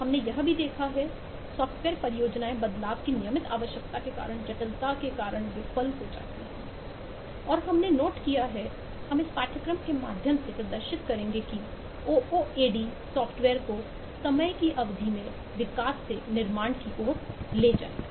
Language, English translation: Hindi, we have also observed that software projects fails due to complexity, due to regular need of change, and we have noted and this is what we will demonstrate through the course that ooad will take software from development to construction over a period of time